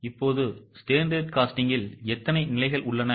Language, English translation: Tamil, Now, what are the steps in standard costing